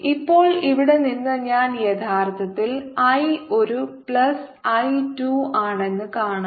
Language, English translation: Malayalam, now we can see from the here that i is actually i one plus i two